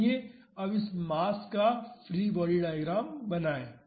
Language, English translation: Hindi, So, let us draw the free body diagram of this disk